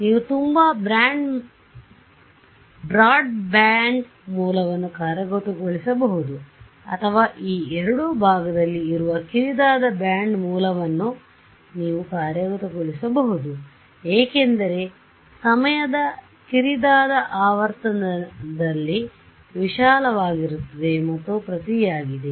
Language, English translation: Kannada, You can implement a very broadband source or you can imply implement a narrow band source we are playing around this tw right because narrow in time is wide in frequency and vice versa